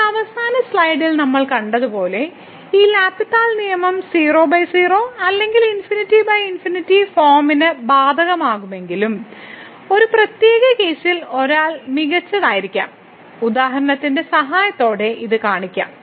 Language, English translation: Malayalam, Now, as we have seen in the last slide that although this L’Hospital rule can be apply to 0 by 0 or infinity by infinity form, but 1 may be better in a particular case this we will see with the help of example in a minute